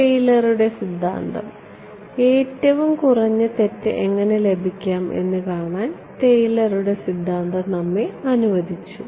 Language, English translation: Malayalam, Taylor’s theorem; Taylor’s theorem allowed us to see how to get the lowest error right